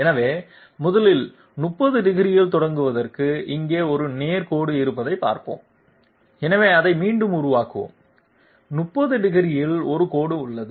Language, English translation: Tamil, So first of all let s see we have a straight line here to start with at 30 degrees, so we reproduce it here, there is a line at 30 degrees